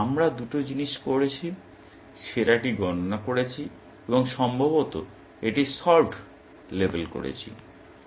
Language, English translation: Bengali, So, we have done two things; compute best, and possibly labeled it solved